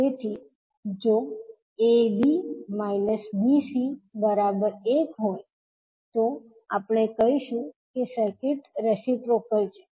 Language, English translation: Gujarati, So, if AD minus BC is equal to 1, we will say that the circuit is reciprocal